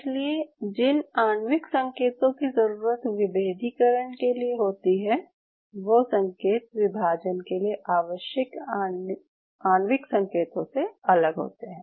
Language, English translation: Hindi, So it means the signals which are needed for the differentiation or the molecular signals to be precise are not same as the molecular signals you needed for division